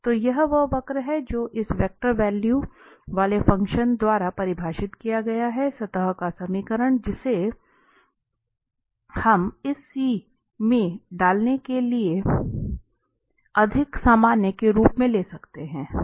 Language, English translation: Hindi, So, this is the curve given which is defined by this vector valued function, the equation of the surface we can take as a more general putting this C